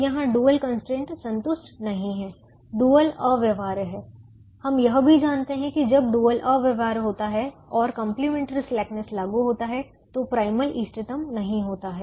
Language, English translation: Hindi, we also know that when the dual is infeasible and complimentary slackness is applied, the primal is non optimum